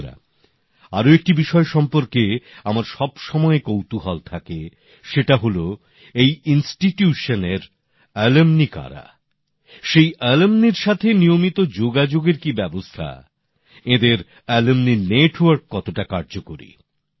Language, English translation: Bengali, besides this, I am always interested in knowing who the alumni of the institution are, what the arrangements by the institution for regular engagement with its alumni are,how vibrant their alumni network is